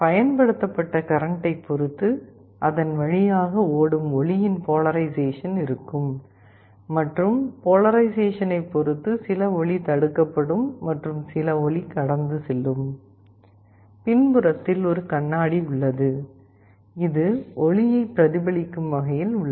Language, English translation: Tamil, Depending on the applied current, there will be some polarization of the light that will be flowing through it and depending on the polarization some light will be blocked and some light will pass through; there is a mirror in the backside, which reflects the light so that it is visible